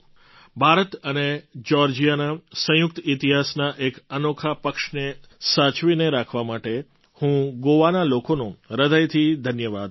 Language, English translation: Gujarati, Today, I would like to thank the people of Goa for preserving this unique side of the shared history of India and Georgia